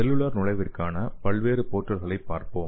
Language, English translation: Tamil, So let us see the multiple portals of cellular entry